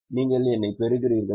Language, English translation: Tamil, Are you getting me